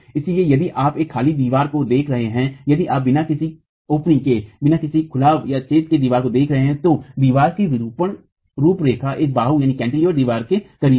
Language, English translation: Hindi, So, if you are looking at a blank wall, if you are looking at a wall without openings, the deform profile of the wall is closer to a cantilevered wall